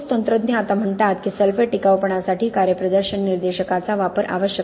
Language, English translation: Marathi, The concrete technologists now says that use of performance indicators for sulphate durability is necessary